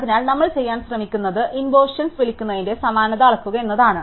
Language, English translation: Malayalam, So, what we are trying to do is measure the dissimilarity in terms of what we call inversion